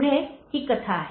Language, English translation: Marathi, This is the story